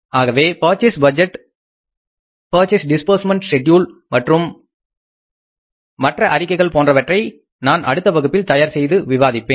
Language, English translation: Tamil, So purchase budget and the purchase disbursement budget plus other statements I will prepare and discuss with you in the next class